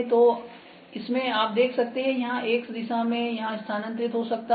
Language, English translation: Hindi, So, in this you can see that this can move in X direction here